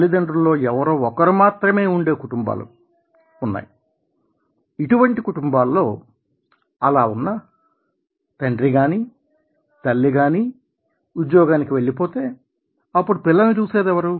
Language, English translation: Telugu, if the single parent families, if the father or the mother is going to the office, who will look after the kids